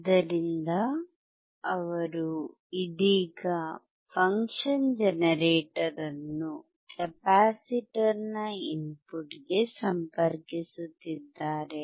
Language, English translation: Kannada, So, he is right now connecting the function generator to the input of the capacitor